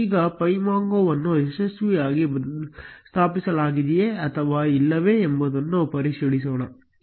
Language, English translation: Kannada, Now, let us verify whether pymongo has been successfully installed or not